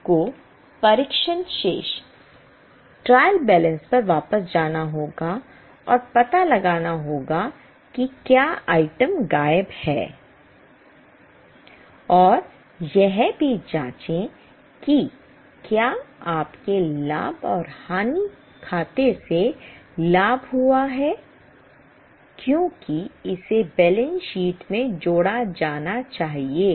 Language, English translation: Hindi, You have to go back to trial balance and find out whether item is missing and also check whether you have carried profit from profit and loss account because it must be added in the balance sheet